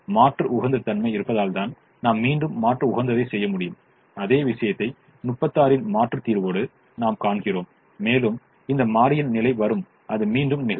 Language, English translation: Tamil, we can do the alternate optimum again and we see the same thing occurring with an alternate solution of thirty six and this variable coming in and it will repeat